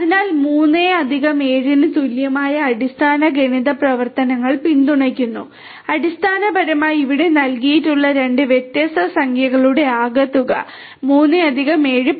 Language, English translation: Malayalam, So, the basic math functions are supported sum equal to 3 +7 will basically do the sum of two different integers which are given over here so 3+7; 10